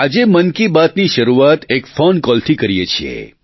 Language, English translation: Gujarati, Let us begin today's Mann Ki Baat with a phone call